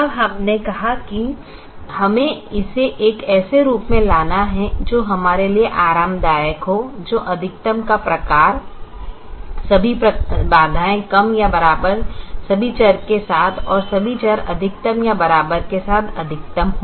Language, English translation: Hindi, now we said that we have to bring this to a form which is comfortable to us, which is a form of maximizing: maximization with all constraints less than or equal to and all variables greater than or equal to